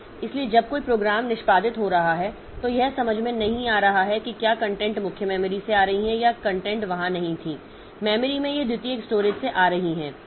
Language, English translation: Hindi, So, when a program is executing, so it is not understanding whether the program is the content is coming from main memory or the content was not there in memory, it is coming from the secondary storage